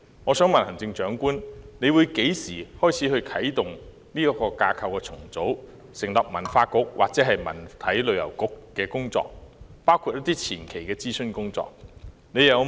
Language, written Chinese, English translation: Cantonese, 我想問行政長官何時會啟動這項架構重組的工作，成立文化局或文體旅遊局，包括一些前期的諮詢工作？, May I ask the Chief Executive such a restructuring exercise will be activated to set up a Culture Bureau or a Culture Sports and Tourism Bureau including some preliminary consultations?